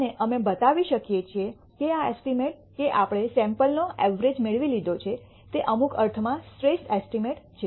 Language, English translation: Gujarati, And we can show that this estimate that we obtained of the sample the average is the best estimate in some sense